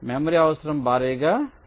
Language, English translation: Telugu, ok, memory requirement will be huge